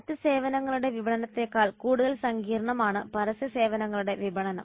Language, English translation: Malayalam, The marketing of advertisement services is more complex than the marketing of other services